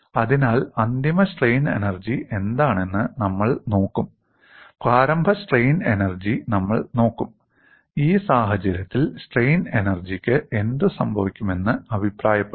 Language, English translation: Malayalam, So, we will look at what is the final strain energy, we look at the initial strain energy, and comment what happens to the strain energy in this case